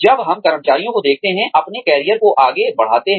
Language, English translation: Hindi, When, we see employees, furthering their own careers